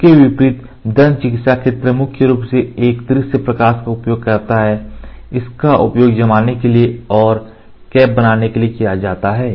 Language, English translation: Hindi, In contrast the field of dentistry uses a visible light predominantly, this is used for curing and making the caps